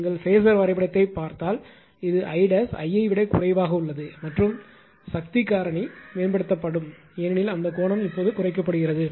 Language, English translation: Tamil, If you look at the phasor diagram this I dash is less than I right and and the power factor can be improved because earlier that angle was higher now angle is decreed